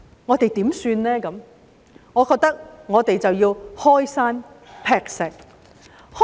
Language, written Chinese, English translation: Cantonese, 我認為，我們應該要開山劈石。, I think we should break new grounds